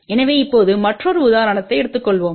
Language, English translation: Tamil, So, now let us take another example